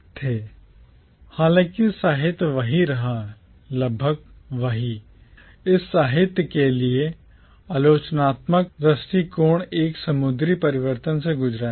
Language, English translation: Hindi, However, though the literature remained the same, almost the same, the critical approach to this literature underwent a sea change